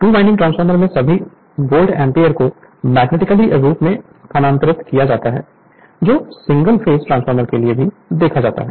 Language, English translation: Hindi, In a two winding transformer, all Volt ampere is transferred magnetically that also you have seen for single phase transformer